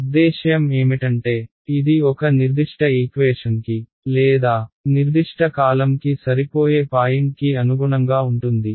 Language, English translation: Telugu, I mean which does it correspond to a particular equation or a particular column the matching point